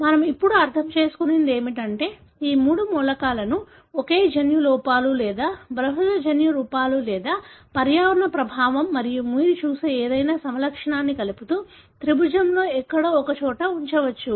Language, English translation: Telugu, What we understand now is that we can pretty much put a triangle something like this, connecting these three elements single gene defects or multiple gene defects or environmental effect and any phenotype that you look at, can be placed somewhere in the triangle